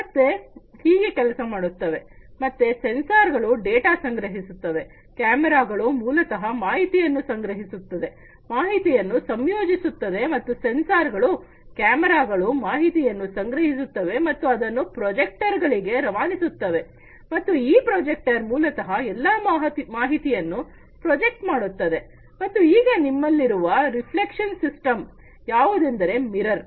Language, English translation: Kannada, So, sensors collecting data, cameras also basically know projecting in the information collecting the information and then together the sensors, cameras, you know, collecting all these information and then sending it to the projectors, and this projector basically projects all this information and then you have this reflection system, which is the mirror